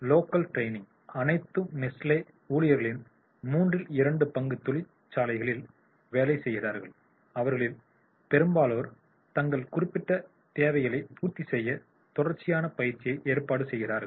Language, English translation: Tamil, The two thirds of all Nestle employees work in factories and most of which organize continuous training to meet their specific needs